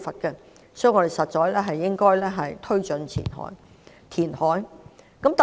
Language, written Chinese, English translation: Cantonese, 因此，我們應該推動填海。, Therefore we should advocate reclamation